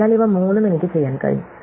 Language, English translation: Malayalam, So, I can do all three of these